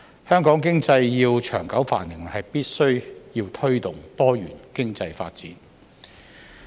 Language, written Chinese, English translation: Cantonese, 香港經濟要長久繁榮，必須推動多元經濟發展。, In order for Hong Kongs economy to prosper in the long run it is necessary to promote the development of a diversified economy